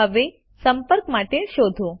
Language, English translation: Gujarati, Now, lets search for a contact